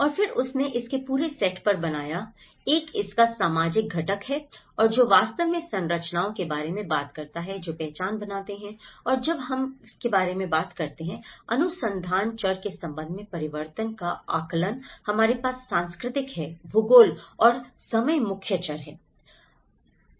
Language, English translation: Hindi, And then she built on the whole set of it; one is the sociological component of it and which actually talks about the structures which create identity and when we talk about the assessment of transformation with respect to research variables, we have the cultural geography and the time are the main variables